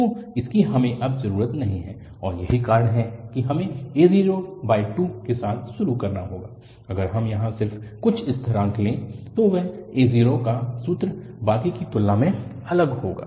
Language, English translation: Hindi, So, this we do not need now, and that’s the reason we have to started with a0 by 2, if we take just here some constant a0, then that a0 formula will be different than the rest